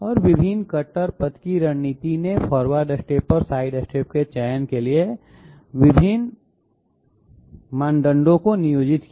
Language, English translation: Hindi, And different cutter path generation strategy employed different criteria for selection of forward steps and side steps